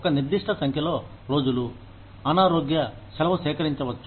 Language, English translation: Telugu, A certain number of days, that one can collect as sick leave